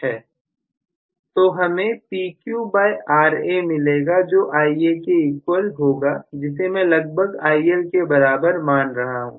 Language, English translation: Hindi, So, I am going to essentially get this is going to be Ia which I am approximately assuming it to be IL